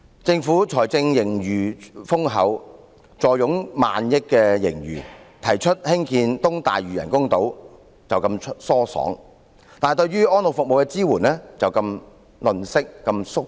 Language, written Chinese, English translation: Cantonese, 政府財政盈餘豐厚，坐擁過萬億元的盈餘；它提出要興建東大嶼人工島時很疏爽，但對於安老服務的支援卻如此吝嗇和"縮骨"。, It is very generous when proposing to build artificial islands to the east of Lantau . When it comes to supporting the services for the elderly the Government is mean and evasive